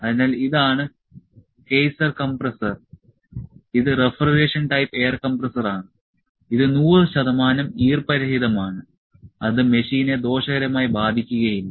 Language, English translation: Malayalam, So, this is the Kaeser compressor, it is refrigeration type air compressor, it is 100 percent moisture free that is not going to harm the machine